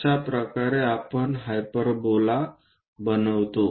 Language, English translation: Marathi, This is the way we construct a hyperbola